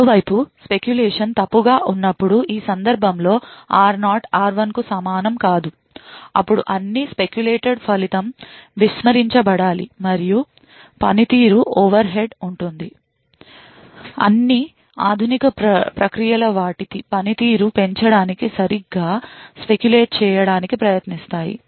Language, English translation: Telugu, On the other hand when the speculation is wrong as in this case r0 not equal to r1 then all the speculated result should be discarded and there would be a performance overhead, all modern processes try to speculate correctly in order to maximize their performance